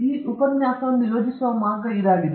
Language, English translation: Kannada, That is the way which this lecture is planned